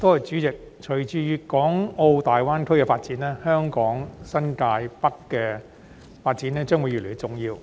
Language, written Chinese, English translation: Cantonese, 代理主席，隨着粵港澳大灣區的發展，香港新界北的發展將會越來越重要。, Deputy President with the development of the Guangdong - Hong Kong - Macao Greater Bay Area GBA the development of New Territories North in Hong Kong will become more and more important